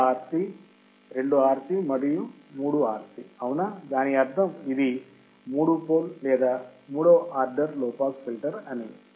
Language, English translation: Telugu, 1 RC, 2 RC and 3 RC right that means, it is a three pole or third order low pass filter